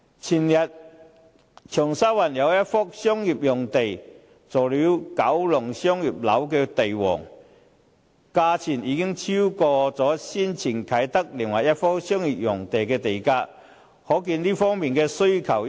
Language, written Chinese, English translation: Cantonese, 長沙灣有一幅商業用地前天榮升為九龍商業樓地王，超過先前啟德另一幅商業用地的地價，由此可見商業用地方面的殷切需求。, The day before yesterday a commercial site in Cheung Sha Wan became the most expensive commercial lot in Kowloon with its price surpassing that of another commercial site in Kai Tak